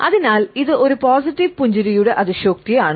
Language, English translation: Malayalam, So, it is an exaggeration of a positive smile